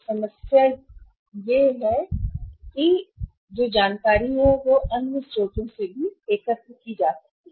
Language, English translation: Hindi, So, there is a problem of the information but that information can be collected from any other sources also